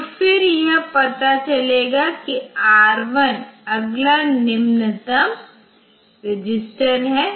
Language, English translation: Hindi, So, then it will find that R3 is the next lowest register